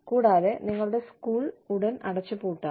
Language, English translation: Malayalam, And, your school could be shut down, tomorrow